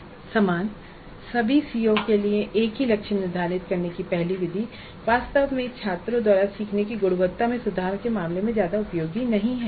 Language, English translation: Hindi, However the first method of setting the same target for the all COs really is not much of much use in terms of improving the quality of learning by the students